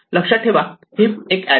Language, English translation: Marathi, Well, remember that a heap is an array